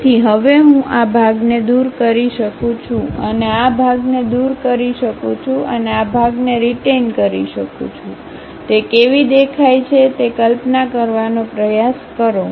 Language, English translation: Gujarati, So, now I can remove this part and remove this part and retain this part, try to visualize how it looks like